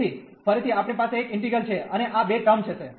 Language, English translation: Gujarati, So, again we will have one integral, and these two terms